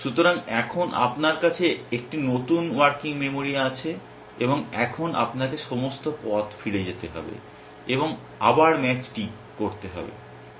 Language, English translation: Bengali, So, now you have a new working memory and now you have to go back all the way and do the match all over again